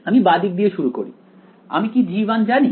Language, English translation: Bengali, I start from the left do I know g 1